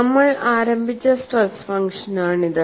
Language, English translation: Malayalam, So, this is the stress function that we had started with